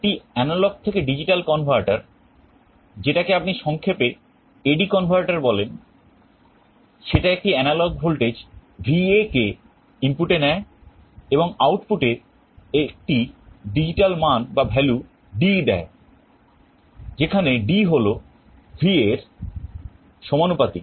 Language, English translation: Bengali, An analog to digital converter in short you call it an A/D converter, it takes an analog voltage VA as input and produces digital value at the output D, where D is proportional to VA